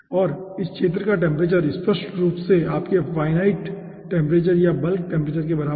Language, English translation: Hindi, okay, and the temperature at this zone obviously will be the aah, equivalent to your infinite temperature or bulk temperature